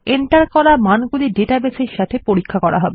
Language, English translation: Bengali, The entered values will be checked against a database